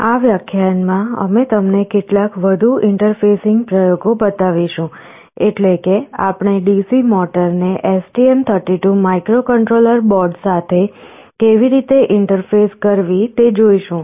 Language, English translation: Gujarati, In this lecture, we shall be showing you some more interfacing experiments; namely we shall be showing how to interface a DC motor with the STM32 microcontroller board